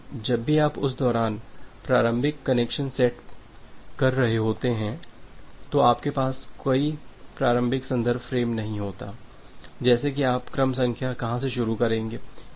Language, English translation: Hindi, But, whenever you are setting up the initial connection during that time you do not have any initial reference frame, like from where you will start the sequence number